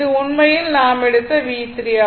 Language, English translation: Tamil, So, this is your, your V 3 right